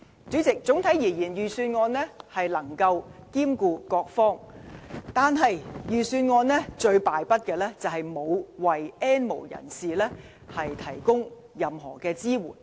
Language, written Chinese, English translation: Cantonese, 主席，整體而言，預算案能夠兼顧各方，但預算案最敗筆的地方，是沒有為 "N 無人士"提供任何支援。, President overall the Budget has covered most sectors . Yet it is a real pity that the Budget has not offered any support for the N have - nots